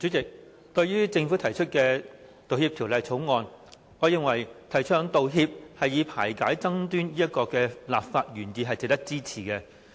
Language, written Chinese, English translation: Cantonese, 主席，對於政府提出的《道歉條例草案》，我認為提倡道歉以排解爭端這個立法原意值得支持。, President speaking of the Apology Bill the Bill introduced by the Government I think the legislative intent of promoting the making of apologies to facilitate the resolution of disputes is worth supporting